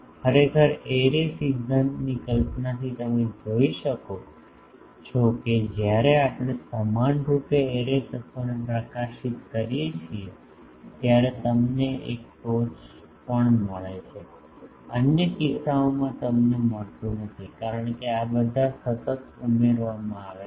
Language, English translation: Gujarati, Actually, from array theory concept you can see that when we uniformly illuminate the array elements then also you get a peak; in other cases you do not get because all are consecutively added